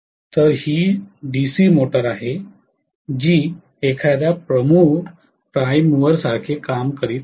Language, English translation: Marathi, So, this is the DC motor which is acting like a prime mover